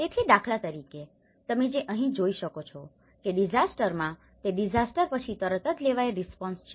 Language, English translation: Gujarati, So for instance, what you can see here is in the disaster of response immediately after a disaster